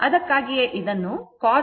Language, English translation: Kannada, That is why it is written cos alpha